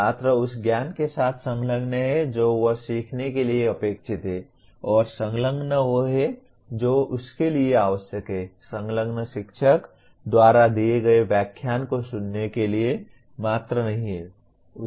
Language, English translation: Hindi, Student is engaging with the knowledge he is expected to learn and engagement is the one that is necessary for, engagement is not mere listening to the lecture given by the teacher